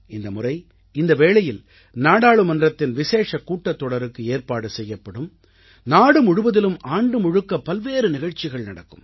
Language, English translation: Tamil, This occasion will be marked by a special programme in Parliament followed by many other events organised across the country throughout the year